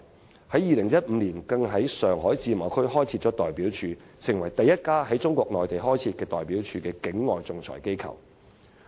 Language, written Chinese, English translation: Cantonese, 香港在2015年在中國自由貿易試驗區開設代表處，成為第一家在中國內地開設代表處的境外仲裁機構。, In 2015 HKIAC set up an office in the China Shanghai Pilot Free Trade Zone and it was the first overseas arbitration institution that had set up an office in Mainland China